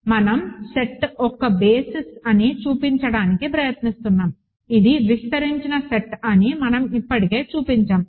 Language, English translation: Telugu, We are trying to show that set is a basis; we just showed that it is a spanning set